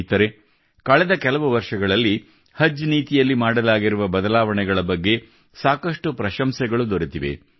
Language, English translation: Kannada, Friends, the changes that have been made in the Haj Policy in the last few years are being highly appreciated